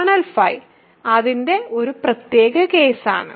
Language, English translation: Malayalam, So, kernel phi is a special case of that